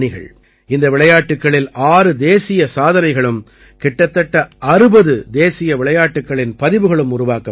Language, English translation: Tamil, Six National Records and about 60 National Games Records were also made in these games